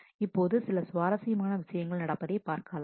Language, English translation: Tamil, Now, you see very interesting things will happen